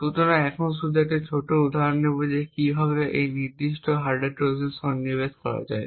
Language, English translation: Bengali, So, let us take a simple example of a hardware Trojan